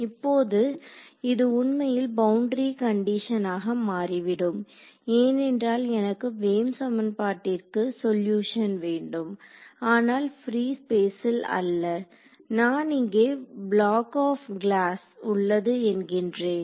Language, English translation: Tamil, Now this actually turns out to be a boundary condition because let us say that I have I want to get a wave equation the solution to the wave equation now not in free space, but I have a let us say a block of glass over here